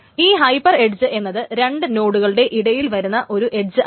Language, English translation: Malayalam, So what are hyper edges is that it is not a single age between two nodes